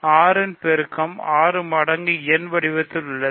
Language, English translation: Tamil, Multiple of 6 is of the form 6 times n, right, it is something times 6